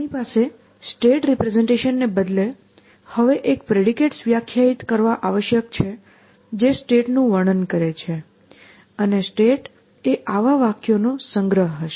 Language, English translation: Gujarati, So, instead of saying that we have some state representation, now we are saying that you must be define a predicates which describe the state and the state will be a collection of such sentences